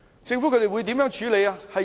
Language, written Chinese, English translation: Cantonese, 政府會如何處理？, What should be done by the Government?